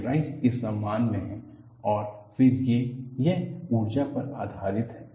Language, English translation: Hindi, This is again energy based and this is in honor of Rice